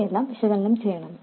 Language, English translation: Malayalam, Now, let's analyze this